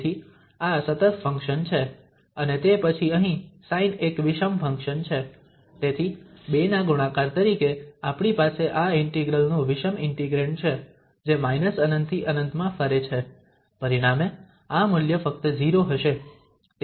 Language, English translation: Gujarati, So, this is even function and then here the sine is an odd function, so as multiplication of the two we have this odd integrand of this integral which varies from minus infinity to plus infinity, and as a result this value will be just 0